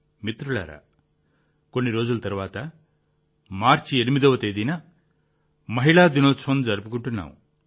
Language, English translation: Telugu, Friends, just after a few days on the 8th of March, we will celebrate 'Women's Day'